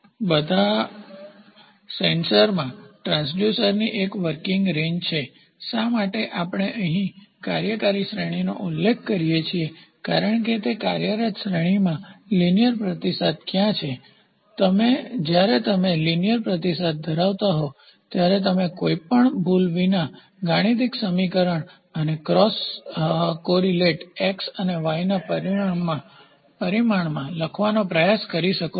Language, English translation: Gujarati, So, that is why you see in all the sensors are transducer is a the working range; why we do this specify the working range because in that working range, where is a linear response basically when you have linear response, you can try to write a mathematical equation and cross correlate y and x parameter without any error term